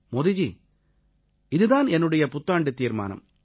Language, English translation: Tamil, Modi ji, this is my social resolution for this new year